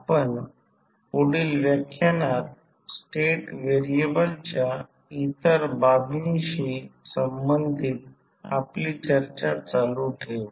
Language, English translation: Marathi, We will continue our discussion related to other aspects of state variable in our next lecture